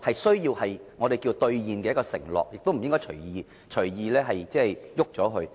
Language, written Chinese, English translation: Cantonese, 這是我們需要兌現的承諾，亦不應隨意改動。, This is a pledge that needs redemption and it should not be altered at will